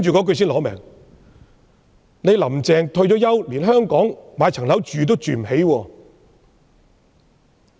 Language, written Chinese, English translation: Cantonese, 他說："特首'林鄭'退休後在香港連一層樓也買不起。, What he said next was the key point Chief Executive Carrie LAM cannot even afford a flat in Hong Kong after retirement